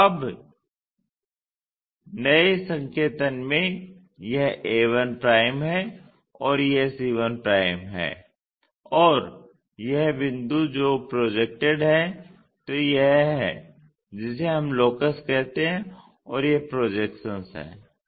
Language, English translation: Hindi, So, now, in new notation this is a 1', this is c 1' and this point which is projected, so this is what we calllocus and this is the projection